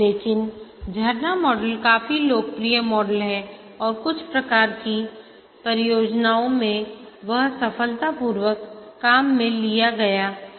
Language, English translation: Hindi, But then the waterfall model was popular and it is also successfully used in some types of projects